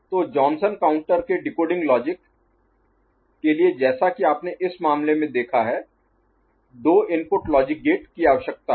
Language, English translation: Hindi, So, decoding logic for Johnson counter as you have seen in this case requires a two input logic gate